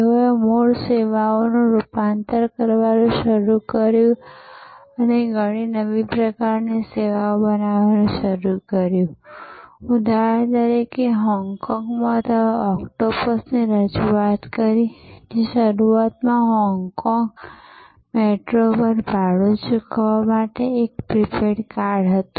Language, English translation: Gujarati, They started transforming original services and creating many new types of services, for example in Hong Kong, they introduced octopus, which was initially a contact less prepaid card for paying the fare on Hong Kong metro